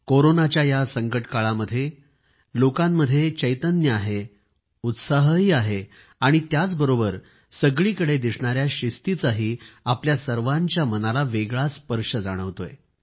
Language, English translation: Marathi, During these times of Corona crises, on the one hand people are full of exaltation and enthusiasm too; and yet in a way there's also a discipline that touches our heart